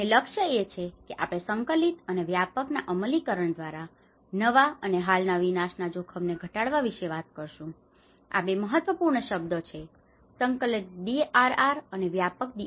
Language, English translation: Gujarati, And the goal, we talk about the prevent new and reduce existing disaster risk through the implementation of integrated and inclusive these are the two important words and integrated DRR and inclusive DRR